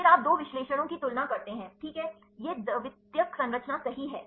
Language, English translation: Hindi, Then you come to the compare two analysis right ok, this is secondary structure right